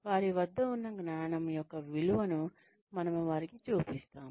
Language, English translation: Telugu, We show them, the value of the existing knowledge, that they have